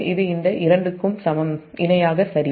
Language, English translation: Tamil, this two are in parallel